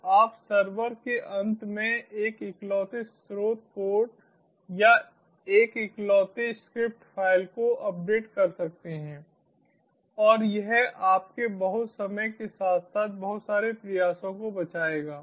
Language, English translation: Hindi, even if you need some minor adjustments, make some minor adjustments so you can just update a singular source code or a singular script file on the server end, and that will save you a lot of time as well as a lot of effort